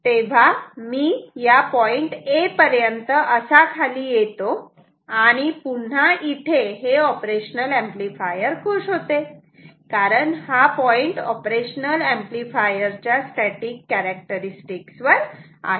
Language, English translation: Marathi, So, I will keep moving like this until I come at this point A, where the op amp will be happy again, because now this point lies on the static characteristic of the op amp